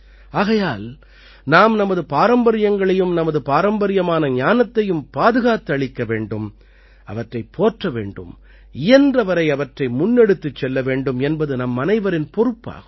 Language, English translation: Tamil, Therefore, it is also our responsibility to preserve our traditions and traditional knowledge, to promote it and to take it forward as much as possible